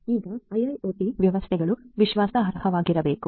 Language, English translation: Kannada, Now, IIoT systems must be trustworthy